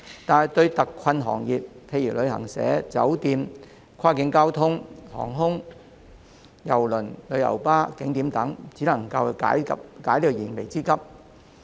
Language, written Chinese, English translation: Cantonese, 然而，對於特困行業，例如旅行社、酒店、跨境交通、航空、郵輪、旅遊巴士及景點等，卻只能解燃眉之急。, However to those particularly hard - hit trades eg . travel agents hotels cross - boundary transportation services aviation cruises coaches and scenic spots this can only offer some temporary relief